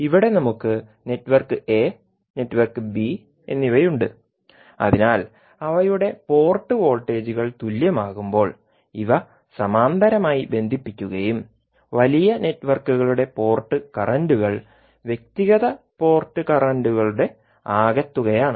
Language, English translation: Malayalam, So here we have network a and network b, so these are connected in parallel when their port voltages are equal and port currents of the larger networks are the sum of individual port currents